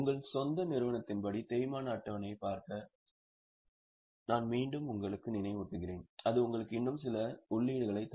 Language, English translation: Tamil, I will once again remind you to look at the depreciation schedule as per your own company and that will give you some more inputs